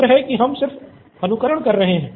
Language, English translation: Hindi, Thankfully we are just simulating